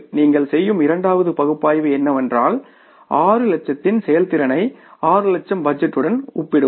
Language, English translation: Tamil, Then the second analysis you will do is that is the say the comparison of the performance of 6 lakhs with the budget of 6 lakhs